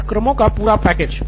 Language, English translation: Hindi, So total package of courses